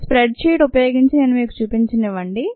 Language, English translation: Telugu, let me show it to you using a spread sheet